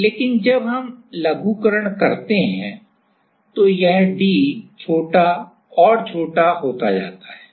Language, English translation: Hindi, But, as we do miniaturization then this d can become smaller and smaller